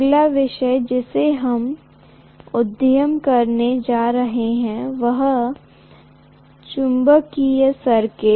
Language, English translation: Hindi, The next topic that we are going to venture into is magnetic circuits